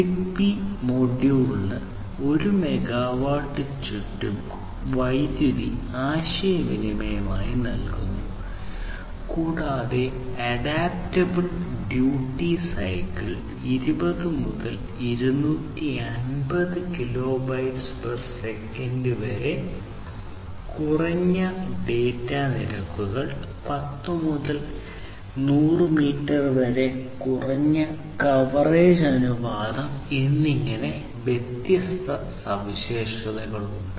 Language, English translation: Malayalam, So, it provides low power communication around 1 megawatt per ZigBee module and it has different features such as offering adaptable duty cycle, low data rates of about 20 to 250 Kbps, low coverage ratio of 10 to 100 meter and so on